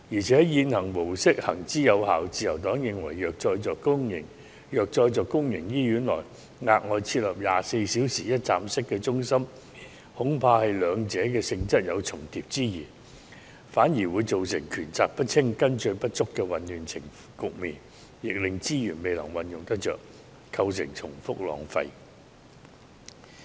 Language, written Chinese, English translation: Cantonese, 此外，現行模式行之有效，自由黨認為如再在公營醫院內額外設立24小時一站式中心，恐怕兩者的性質有重疊之嫌，反而會造成權責不清，跟進不足的混亂局面，亦令資源未能運用得當，構成重複浪費。, The Liberal Party is worried that if an additional 24 - hour one - stop centre is set up at public hospitals the natures of the two will overlap with each other . A chaotic situation with insufficient follow - up actions may be caused due to the ambiguous division of responsibilities between the two . It will also hamper the proper use of resources and the duplication is a waste of resources